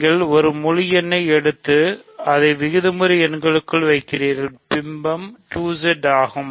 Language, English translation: Tamil, So, you take an integer and you put it inside rational numbers as it is so, image is 2Z